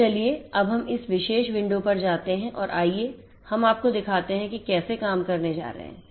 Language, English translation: Hindi, So, let us now go to this particular window and let us show you how things are going to work